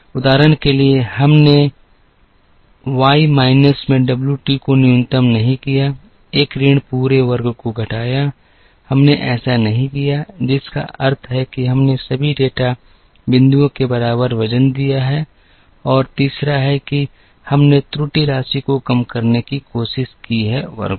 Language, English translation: Hindi, For example we did not do minimize w t into Y minus a minus b t the whole square, we did not do that, which means that we have given equal weight age to all the data points and third is we have tried to minimize the error sum of squares